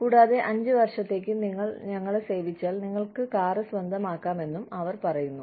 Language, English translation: Malayalam, And, they say that, if you serve us for, maybe, five years, you can have the car